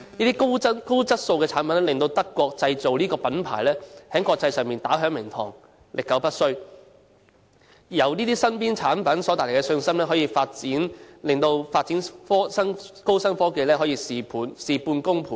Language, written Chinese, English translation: Cantonese, 這些高質素的產品令"德國製造"這個品牌，在國際上打響名堂、歷久不衰，而由這些日常產品所帶來的信心，令發展高新科技可以事半功倍。, These high - quality products have helped to turn made in Germany into a brand name of lasting international repute . The confidence generated by these daily - use products can help Germany to successfully develop innovative technologies without much efforts